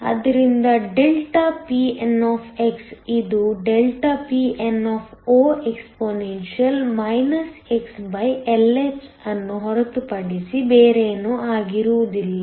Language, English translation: Kannada, So delta ΔPn, which will be nothing but ∆Pnexp xLh